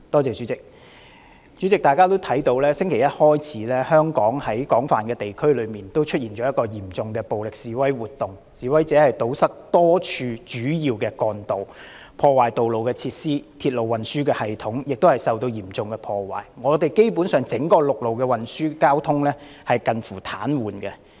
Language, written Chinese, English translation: Cantonese, 主席，大家也看到自星期一起，香港廣泛地區出現嚴重的暴力示威活動，示威者堵塞多條主要幹道，破壞道路設施，鐵路運輸系統亦受到嚴重破壞，香港整個陸路運輸交通基本上近乎癱瘓。, President as we can see violent protests and activities have emerged in extensive areas in Hong Kong since Monday . Protesters blocked major trunk roads damaged road facilities and severely vandalized the railway transport system nearly paralysing the entire land transport network